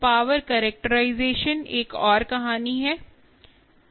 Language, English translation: Hindi, power characterization is another story